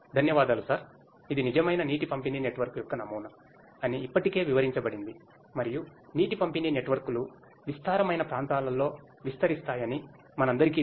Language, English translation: Telugu, Thank you sir, as already it has been explained that this is a prototype of a real water distribution network and we all know that water distribution networks expand over vast areas